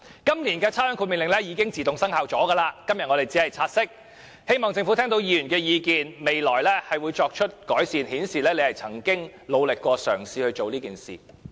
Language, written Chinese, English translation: Cantonese, 今年的差餉豁免令已自動生效，我們今天只是察悉，但仍希望政府聽到議員的意見，在未來作出改善，以顯示政府亦曾努力嘗試過。, The rating exemption order has come into operation automatically this year . We only take note of it today but we still hope that the Government will take on board Members views and make improvements in the future so as to show that efforts have been made